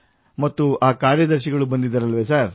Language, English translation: Kannada, And the secretary who had come sir…